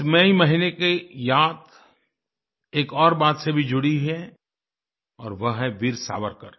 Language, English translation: Hindi, Memories of this month are also linked with Veer Savarkar